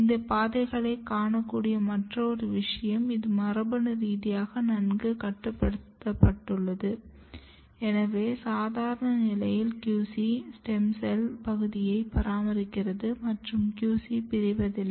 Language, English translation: Tamil, Another thing you can see these pathways are also tightly regulated genetically, but in normal condition if you look stem cell niche is basically maintained by this QC, but at this stage QC is not dividing